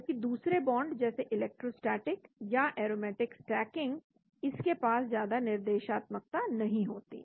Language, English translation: Hindi, Whereas other bonds like electrostatic or aromatic stacking it does not have much directionality